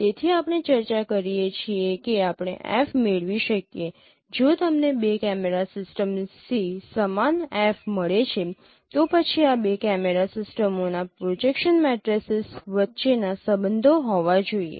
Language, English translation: Gujarati, So this we discuss that if we can derive f, if we get f from two camera systems the same f, then there should be a relationship between the projection matrices of these two camera systems